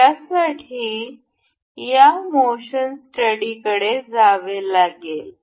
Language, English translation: Marathi, For this, we will have to go this motion study